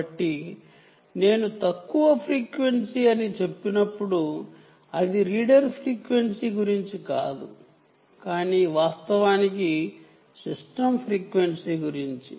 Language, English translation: Telugu, ok, so when i say low frequency, i just dont mean that it is about the reader frequency but indeed the system frequency